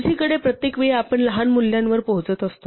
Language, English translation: Marathi, On the other hand each time we are reaching smaller values